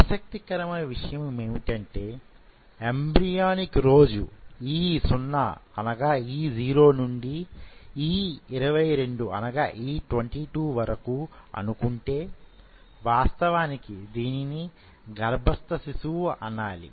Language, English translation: Telugu, Now interestingly So, the embryonic day starts from say E0 to say E22 when sorry, this is actually not calling run it is called fetal